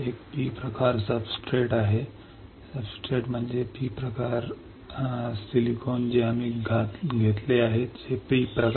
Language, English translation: Marathi, There is a P type substrate, substrate is P type means silicon we have taken which is P type